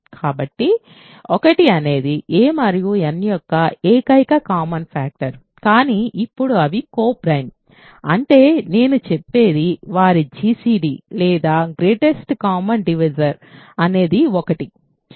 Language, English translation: Telugu, So, that is the only common factor of a and n is 1 ok, but now since they are co prime; that means, what I am saying is that their gcd is 1